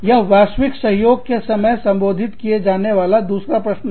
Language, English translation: Hindi, That is another question, to be addressed during, global collaborations